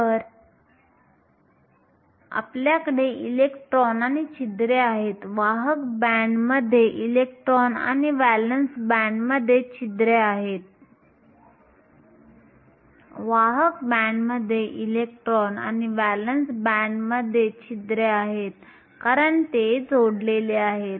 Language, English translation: Marathi, So, because we have electrons and holes, electrons in the conduction band and holes in the valence band because these are linked